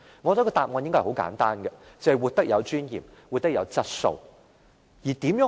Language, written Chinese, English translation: Cantonese, 我想答案應該很簡單，便是活得有尊嚴、活得有質素。, I think the answer should be simple . The elderly should live in dignity and quality